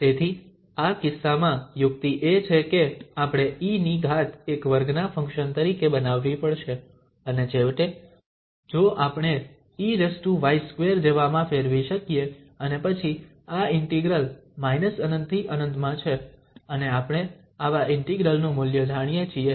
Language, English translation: Gujarati, So, in this case, the trick is that we have to make power of e as a square function and then finally, if we are able to convert to something like e power y square and then this integral minus infinity to plus infinity, so we know the value of such integrals